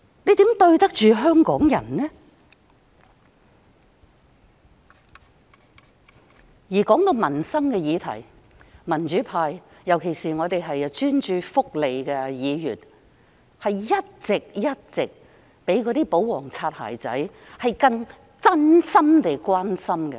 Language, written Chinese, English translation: Cantonese, 這樣如何對得起香港人？談到民生議題，民主派，尤其是專注福利事務的議員，一直較保皇"擦鞋仔"更真心地關心市民。, How can they live up to the expectations of Hong Kong people? . The democrats particularly Members focusing on welfare issues have all along shown more sincere concern about matters affecting peoples livelihood than the royalist bootlickers